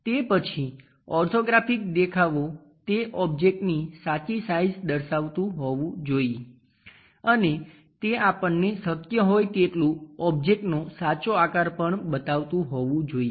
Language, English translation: Gujarati, After that orthographic views should represents the true size of that object and also is supposed to show us true shape of the object and that should be as much as possible